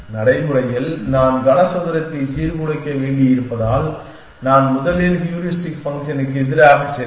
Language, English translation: Tamil, In practice since I have to disrupt the cube on the way I will be first two go against the heuristic function essentially